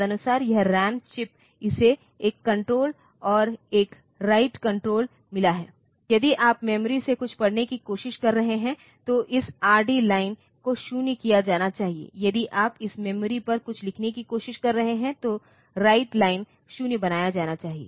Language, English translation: Hindi, Accordingly, this ram chip so, it has got a read bar control and a write bar control if you are trying to read something from the memory then this read bar line should be made 0, if you are trying to write something on to this memory, then this write bar line should be made 0